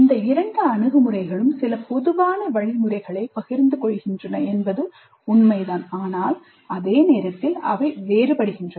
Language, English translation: Tamil, It is true that both these approaches share certain common methodologies but at the same time they are distinct also